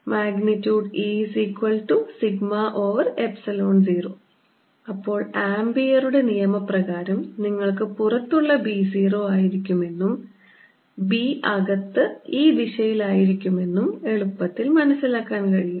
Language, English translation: Malayalam, then by applying ampere's law you can easily figure out that b outside will be zero and b inside is going to be